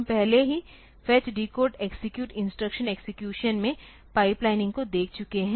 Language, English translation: Hindi, We have already seen that fetch decode execute pipeline in instruction execution